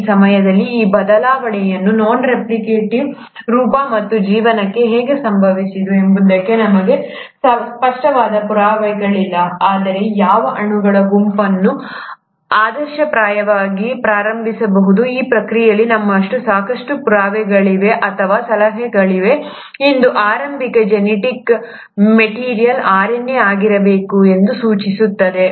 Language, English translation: Kannada, At this time, we don’t really have the clear proof as to how this change happened from a non replicative to the replicative form and life, but, if one were to look at which set of molecules would have been the ideal initiator of this process, we now have sufficient proof or suggestions which suggest that the earliest genetic material must have been RNA